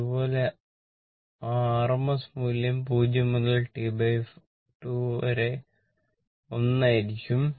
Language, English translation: Malayalam, Similarly, that V rms value, it will be your 1 upon T by 4 0 to T by 4